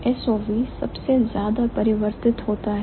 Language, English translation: Hindi, So, SOV changes the most, right